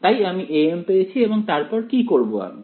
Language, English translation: Bengali, So, I have got my a m and then what do I do